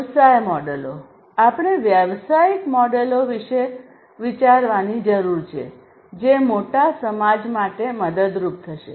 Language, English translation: Gujarati, Business models: you know; we need to think about business models which will be helpful for the greater society the bigger society